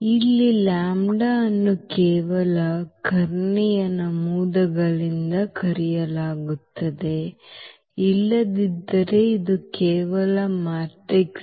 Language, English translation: Kannada, So, here the lambda will be just subtracted from the diagonal entries otherwise this is just the matrix a